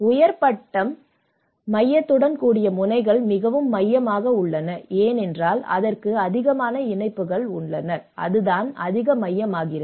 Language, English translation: Tamil, The nodes with higher degree centrality is more central so, because the more connections it have and that is where it becomes more central